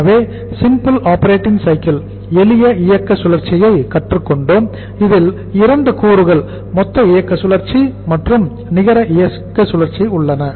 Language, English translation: Tamil, So we have learnt the simple operating cycle and which has 2 components gross operating cycle and the net operating cycle